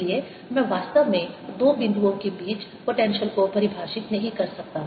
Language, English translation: Hindi, therefore i cannot really define potential between two points